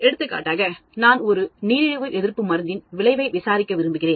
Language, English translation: Tamil, For example, I want to look at design, investigate the effect of an anti diabetic drug